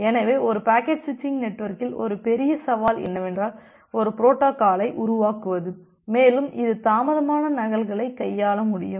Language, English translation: Tamil, So, a major challenge in a packet switching network is develop a protocol which will be able to handle the delayed duplicates